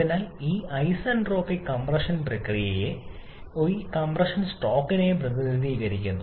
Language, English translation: Malayalam, So, this isentropic compression process is represented of this compression stroke